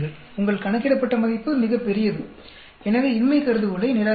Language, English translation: Tamil, Your calculated value is much larger, so reject the null hypothesis